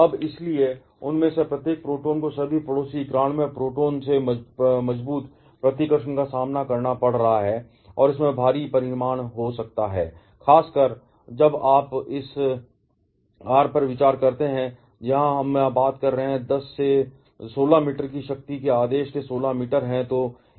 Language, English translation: Hindi, Now, therefore, each of those protons are facing strong repulsion from all the neighboring 91 protons and that can have huge magnitude, particularly when you consider this r that we are talking about here, is of the order of 10 to the power minus 16 meters